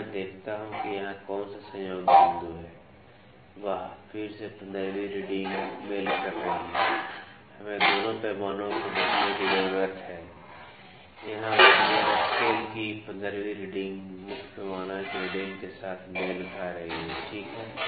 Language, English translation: Hindi, Now, let me see which is the coinciding point here, wow again the 15th reading is coinciding; we need to see both the scales here the 15th reading of the Vernier scale is coinciding with the reading of the main scale, ok